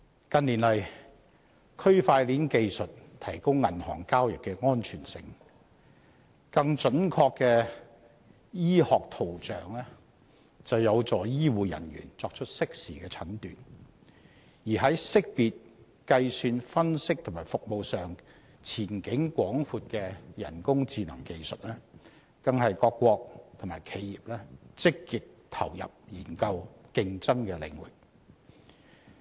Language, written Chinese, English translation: Cantonese, 近年來，區塊鏈技術提高銀行交易的安全性；更準確的醫學圖像有助醫護人員作出適時的診斷；而識別、計算、分析及服務上前景廣闊的人工智能技術，更是各國及企業積極投入研究、競爭的領域。, In recent years blockchain technology improved the security of banking transactions; medical imaging with greater precision helped medical personnel make timely diagnoses; and artificial intelligence technology which shows great promises in identification computation analysis and services has become an area of active research inputs and competition among countries and enterprises